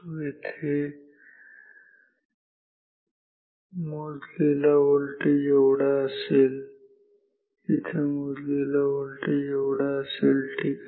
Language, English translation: Marathi, Here, the measured voltage will be this much; here the measured voltage will be this much ok